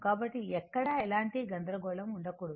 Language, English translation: Telugu, So, there should not be any confusion anywhere